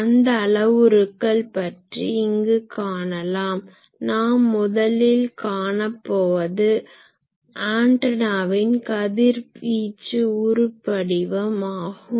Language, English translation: Tamil, So, we will discuss those parameters here; the first one that we discuss is called radiation pattern of the antenna